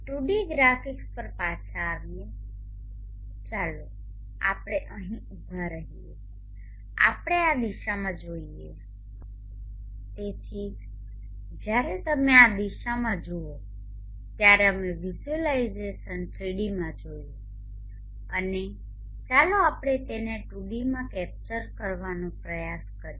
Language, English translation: Gujarati, Coming back to the 2D graphics, let us view standing here, let us view in this direction so when you view in this direction we saw the visualization in 3D and let us try to capture it in 2D